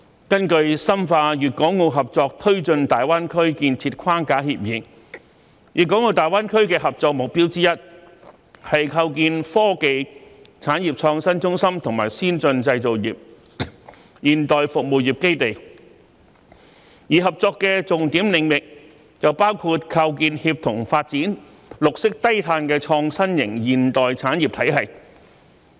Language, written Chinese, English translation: Cantonese, 根據《深化粵港澳合作推進大灣區建設框架協議》，粵港澳大灣區的合作目標之一，是構建科技、產業創新中心和先進製造業、現代服務業基地，而合作的重點領域則包括構建協同發展、綠色低碳的創新型現代產業體系。, According to the Framework Agreement on Deepening Guangdong - Hong Kong - Macao Cooperation in the Development of the Greater Bay Area one of the cooperation objectives of the Guangdong - Hong Kong - Macao Greater Bay Area is to develop technology and industrial innovation centres as well as an advanced manufacturing and modern service industries base; while the key areas for cooperation include promoting synergistic development and building a green and low - carbon innovative and modern system of industries